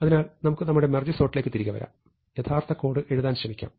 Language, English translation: Malayalam, So, let us come back to our merge sort and try to formalize the algorithms in terms of actual code